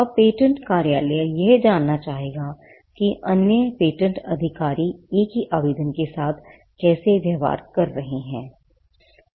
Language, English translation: Hindi, Now this is more like, the patent office would like to know how other patent officers are dealing with the same application